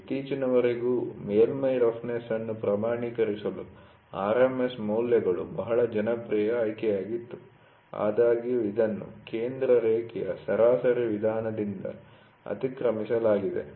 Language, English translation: Kannada, Until recently, RMS values were very popular choice for quantifying surface roughness; however, this has been superseded by the centre line average method